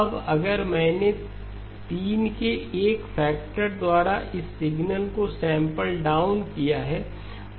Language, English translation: Hindi, Now if I have down sampled this signal by a factor of 3